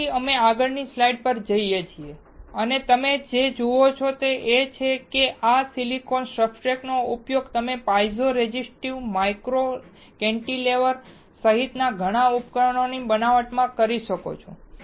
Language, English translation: Gujarati, So, we go to the next slide and what you see is that using this silicon substrate you can fabricate several devices including a piezo resistive micro cantilever